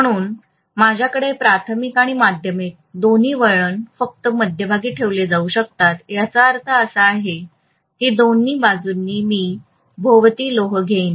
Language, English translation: Marathi, So I may have primary and secondary both put up only in the middle portion of the winding which means on either side I am going to have iron surrounding it